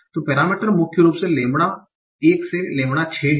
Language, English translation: Hindi, So the parameters are mainly lambda 1 to lambda 6